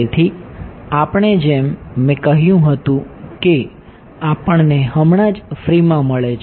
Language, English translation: Gujarati, So, we yeah as I said we just got at for free ok